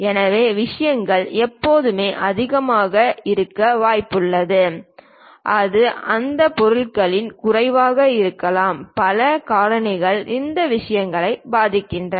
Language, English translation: Tamil, So, things there is always chance that it might be excess it might be low of that object, many factors influence these things